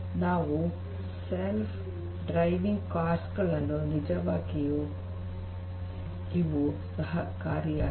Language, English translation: Kannada, They make these the self driving cars a reality